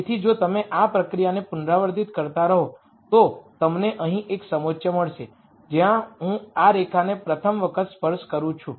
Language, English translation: Gujarati, So, if you keep repeating this process, you are going to nd a contour here where I touch this line for the first time